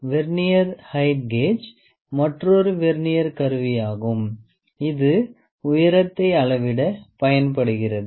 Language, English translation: Tamil, Vernier height gauge is another Vernier instrument which is used to measure the height